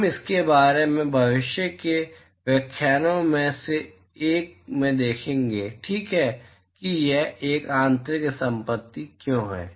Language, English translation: Hindi, We will see a little bit about this in one of the future lectures ok why it is an intrinsic property is here